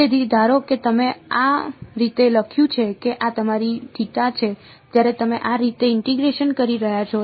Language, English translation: Gujarati, So, supposing you wrote this like this that this is your theta when you are integrating like this